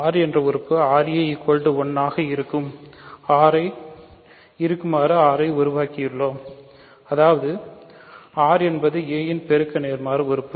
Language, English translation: Tamil, We have produced an element r such that r times a is 1 so; that means, r is the multiplicative inverse of a